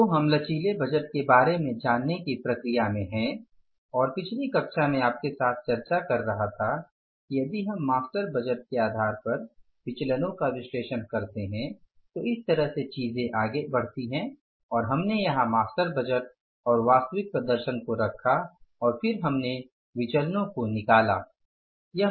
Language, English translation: Hindi, So, we are in the process of learning about the flexible budget and in the previous class I was discussing with you that if we analyze the variances on the basis of the master budget then this way the things go and we have here put the things like master budget then the actual performance and then the variances we have found out